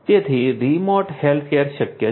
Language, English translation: Gujarati, So, remote healthcare is possible